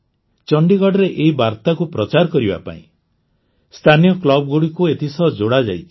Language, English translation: Odia, To spread this message in Chandigarh, Local Clubs have been linked with it